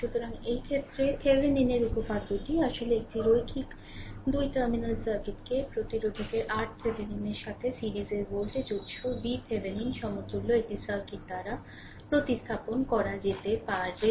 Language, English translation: Bengali, So, in this now in this case, Thevenin’s theorem actually states a linear 2 terminal circuit can be replaced by an equivalent circuit consisting of a voltage source V Thevenin in series with your resistor R Thevenin